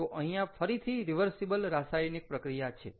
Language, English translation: Gujarati, so here again, its a reversible reaction